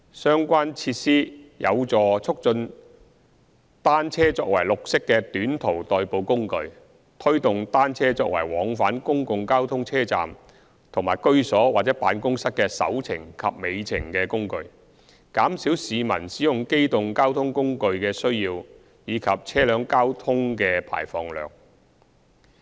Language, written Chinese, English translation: Cantonese, 相關設施有助促進單車作為綠色的短途代步工具，推動單車作為往返公共交通車站和居所或辦公室的"首程"及"尾程"的工具，減少市民使用機動交通工具的需要及車輛交通的排放量。, The relevant facilities may promote cycling as a green short commuting facility and facilitate cycling as a tool to connect the first mile and last mile of travel tofrom public transport stations living places or offices thus suppressing the need for using mechanized transport and reducing emissions from vehicles